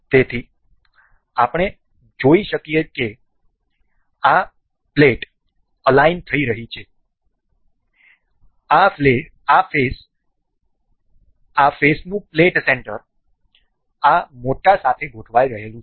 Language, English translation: Gujarati, So, we can see the this plate is getting aligned, the plate center of this face is getting aligned to this larger one